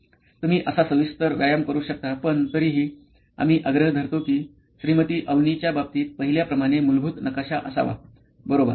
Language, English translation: Marathi, You can do such a detailing exercise but I would still insist on having the basic journey map like we saw in Mrs Avni’s case, okay